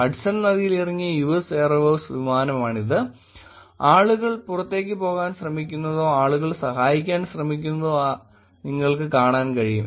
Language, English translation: Malayalam, This is US airways airplane that landed on Hudson river and you could see people are actually trying to get out or people trying to help